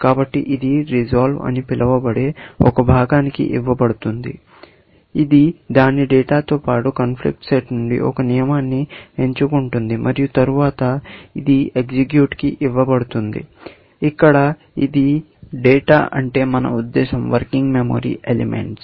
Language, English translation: Telugu, So, this is given to an section called resolve, which selects one rule from the conflict set, along with its data and then, this is given to rule plus data, and by data, we mean the working memory elements; execute